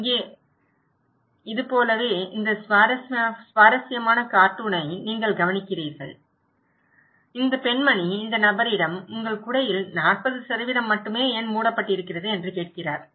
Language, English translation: Tamil, Like here, you look into this very interesting cartoon is saying this lady is asking this person that why you have only 40% of your umbrella is covered